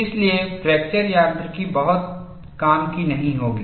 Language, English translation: Hindi, So, there fracture mechanics would not be of much use